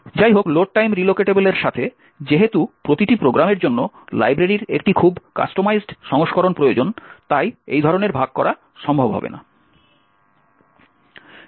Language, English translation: Bengali, However, with Load time relocatable, since each program need a very customized version of the library, that for such kind of sharing will not be possible